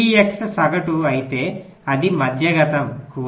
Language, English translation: Telugu, if p x is the average, which the median